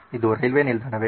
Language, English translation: Kannada, Is this a railway station